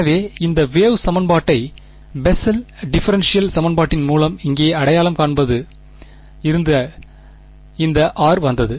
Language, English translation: Tamil, So, this r came from identifying this wave equation over here with the Bessel differential equation correct